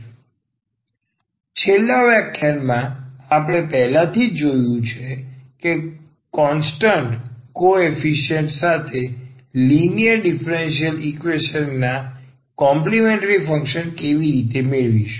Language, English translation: Gujarati, So, in the last lecture, we have already seen that how to get complementary function of the differential equation of the linear differential equation with constant coefficient